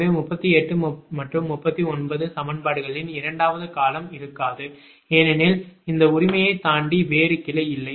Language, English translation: Tamil, so second term of equation: thirty eight and thirty nine will not be there because there is no other branch beyond this right